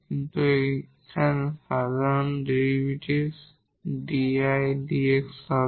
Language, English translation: Bengali, So, this is the derivative here dI over dx